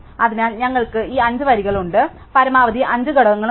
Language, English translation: Malayalam, So, we have these five rows, we have five maximum elements